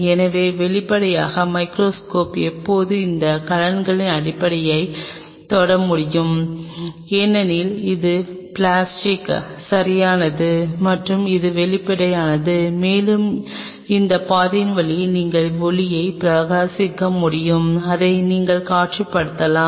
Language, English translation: Tamil, So obviously, the microscope can always touch the base of this vessel, it wants microscope objective can touch the base of those vessel because it is plastic right and it is transparent, and you can shine the light through this path and you can visualize it